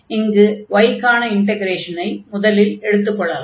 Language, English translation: Tamil, So, suppose we are taking the direction of y first